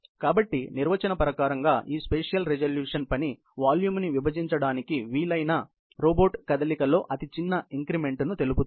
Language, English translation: Telugu, So, definitionally, this spatial resolution is the sort of this smallest increment of moment into which, the robot can divide its work volume